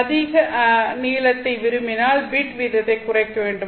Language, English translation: Tamil, If you want a larger length, then you want to reduce the bit rate